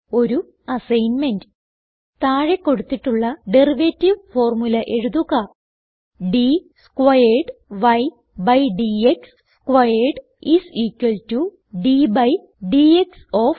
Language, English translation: Malayalam, Here is an assignment for you: Write the following derivative formula: d squared y by d x squared is equal to d by dx of